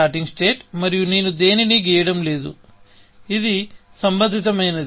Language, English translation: Telugu, This is a starting state and I am not drawing anything, which is relevant